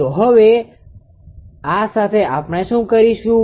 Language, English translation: Gujarati, So, how we will do this